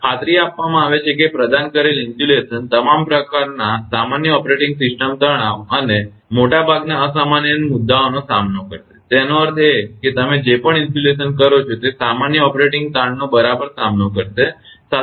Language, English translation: Gujarati, The assurance that the insulation provided will withstand all normal operating stresses, and the majority of abnormal ones; that means, whatever insulation you make that it will withstand the normal operating stresses right